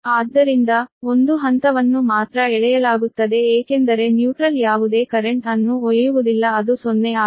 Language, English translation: Kannada, so thats why only phase is drawn, because neutral is not carrying any current zero, so z